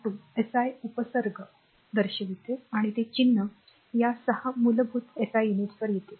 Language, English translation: Marathi, 2 shows SI prefixes and that symbols will come to that first this 6 basic SI units right